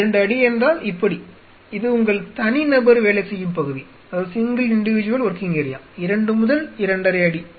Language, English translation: Tamil, So, 2 feet like this your working area single individual 2 to 2 and half feet the